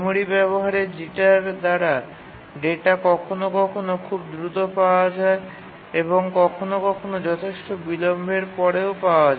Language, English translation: Bengali, What we mean by memory access jitter is that if the data is sometimes obtained very fast and sometimes obtained after considerable delay